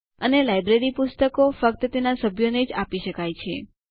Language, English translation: Gujarati, And the library issues books to its members only